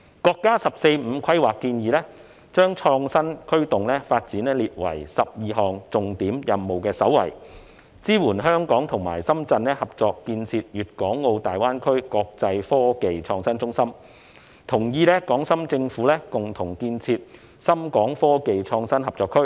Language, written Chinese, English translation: Cantonese, 國家"十四五"規劃建議把創新驅動發展列為12項重點任務的首位，支援香港和深圳合作建設粵港澳大灣區國際科技創新中心，同意港深政府共同建設深港科技創新合作區。, The Proposal on Formulating the National 14 Five - Year Plan has listed innovation - driven development as the top priority among the 12 key tasks it also supports the cooperation between Hong Kong and Shenzhen in developing an international innovation and technology IT hub in GBA and agrees to the joint development of SITZ by the governments of Hong Kong and Shenzhen